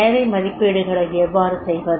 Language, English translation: Tamil, Now how to make the need assessments